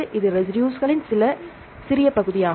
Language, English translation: Tamil, So, it is a small part of the residues